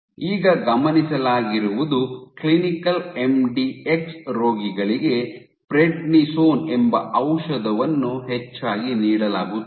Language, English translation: Kannada, Now what has been observed is in the clinic MDX patients are often given this drug called prednisone